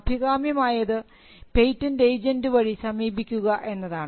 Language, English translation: Malayalam, But the preferred route is through a patent agent